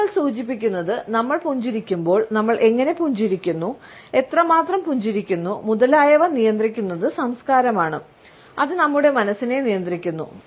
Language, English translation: Malayalam, Evidence suggest that when we do a smile, how we do a smile, how much we do a smile, etcetera is governed by the culture, which has conditioned our psyche